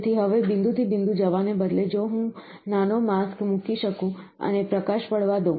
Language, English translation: Gujarati, So, now, instead of going spot by spot, if I can put a small mask and allow light to fall